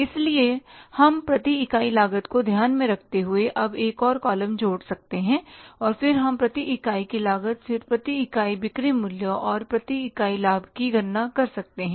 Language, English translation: Hindi, So, we can add up one more column now, taking into account the per unit cost, and then we can calculate the per unit cost, then the per unit sales value, and the per unit profit